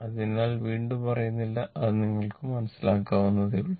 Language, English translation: Malayalam, So, not saying again and again; it is understandable to you , right